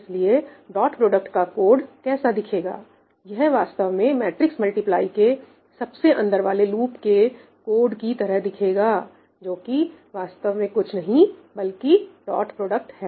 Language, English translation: Hindi, So, what would the dot product code look like it would essentially look the same as that innermost loop of matrix multiply, right, that’s essentially nothing but dot product